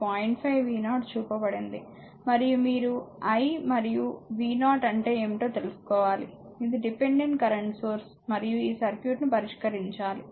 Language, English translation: Telugu, And you have to find out what is the i and what is the v 0, these are dependent current source, and you have to solve this circuit